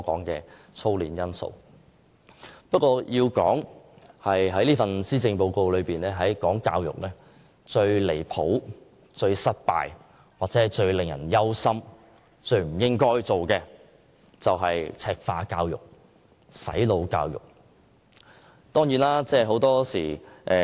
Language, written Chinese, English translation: Cantonese, 然而，要數施政報告中最離譜、最失敗、最令人憂心，以及最不應該推行的教育政策，當然是"赤化"教育和"洗腦"教育。, When we come to education in this Policy Address I think the most outrageous the most disastrous the most worrying and the most undesirable is Mainlandization and brainwashing